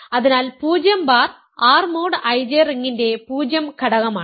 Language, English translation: Malayalam, So, 0 bar is the 0 element of the ring R mod I J